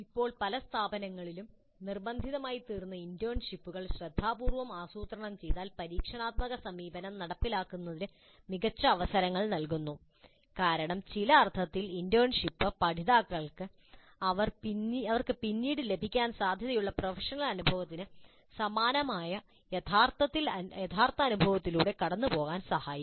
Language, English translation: Malayalam, Internships which now have become mandatory in many institutes if planned carefully provide great opportunities for implementing experiential approach because internship in some sense is actually the learners going through experience which is quite similar to the professional experience that they are likely to get later